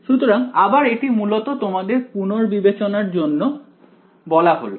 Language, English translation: Bengali, So, again, so this is mostly revision for you all